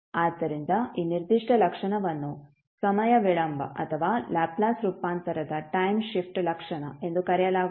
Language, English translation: Kannada, So this particular property is called time delay or time shift property of the Laplace transform